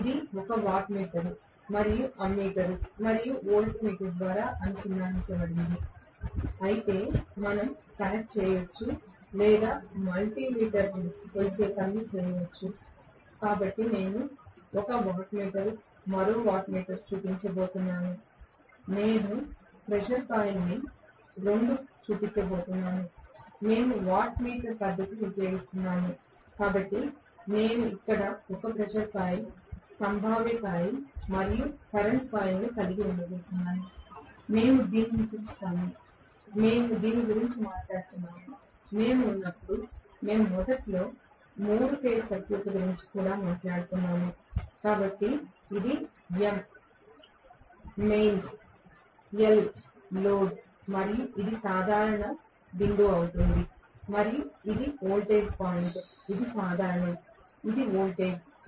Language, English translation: Telugu, Now, this will be connected through wattmeter and ammeter and voltmeter, of course, we can connect or multi meter can do the job of measuring, so I am going to show 1 wattmeter 1 more wattmeter and I am going to show the pressure coil two wattmeter method we are using, so I am going to have 1 more pressure coil here, potential coil and current coil right, we call this, we were talking about this, when we are, we were initially talking about 3 phase circuits also, so this is M, L, mains load and this is going to be the common point and this is the voltage point this is common this is voltage